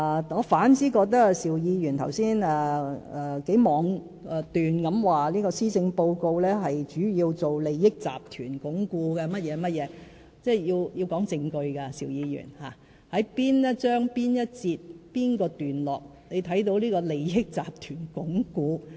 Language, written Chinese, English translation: Cantonese, 我反而覺得，邵議員剛才妄斷地表示，施政報告主要是為鞏固利益集團云云，邵議員，凡事皆講求證據，你在哪一章、哪一節、哪一段看見鞏固利益集團？, I instead have something to say about Mr SHIUs unfounded allegation concerning the Policy Address just now . He thinks that the Policy Address mainly attempts to consolidate groups with vested interest and so on . Mr SHIU every allegation must be backed up by proof and evidence